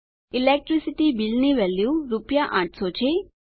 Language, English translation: Gujarati, The cost for the Electricity Bill is rupees 800